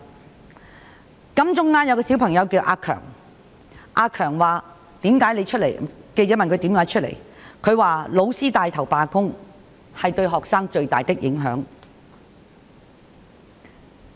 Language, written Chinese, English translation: Cantonese, 記者在金鐘問一位叫"阿強"的小朋友為何出來，他說："老師帶頭罷工，是對學生最大的影響"。, When the reporter asked a student named Ah Keung why he joined the protest Ah Keung said The strike led by the teacher has the greatest influence on students